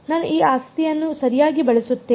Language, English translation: Kannada, I will just use this property right